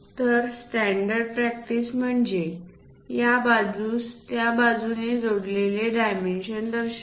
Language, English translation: Marathi, So, the standard practice is to show it on that side connected with this other dimension